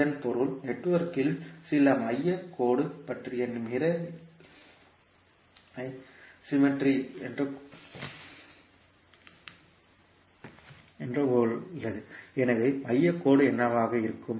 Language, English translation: Tamil, It means that, the network has mirror like symmetry about some center line, so, what would be the center line